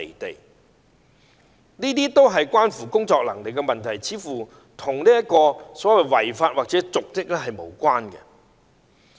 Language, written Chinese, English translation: Cantonese, 但這是關乎工作能力的問題，似乎與違法或瀆職無關。, However this is a matter of ability and does not seem to have anything to do with breach of law or dereliction of duty